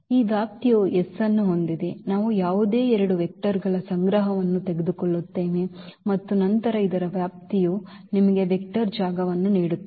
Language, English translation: Kannada, This span has S so, we take any two any vectors collection of vectors and then the span of this will give you the vector space